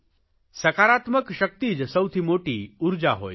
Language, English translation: Gujarati, Positive power is the biggest energy